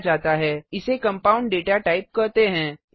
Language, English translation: Hindi, It is called as compound data type